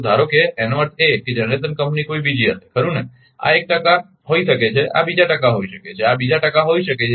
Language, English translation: Gujarati, So, suppose that means, generation company will be somebody else right, this may be one percent this may be another percent this may be another percent